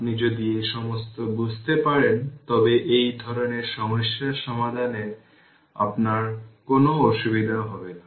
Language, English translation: Bengali, Then if you understand all these then you will not face any difficulties of solving this kind of problem so